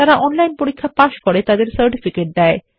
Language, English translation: Bengali, Give certificates for those who pass an online test